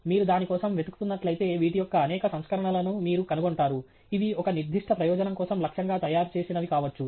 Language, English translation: Telugu, If you look for it, you will find several versions of these, which may be targeted and you know specified for a particular purpose